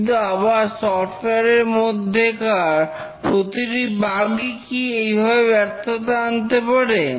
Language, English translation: Bengali, But then do every bug in the software cause a failure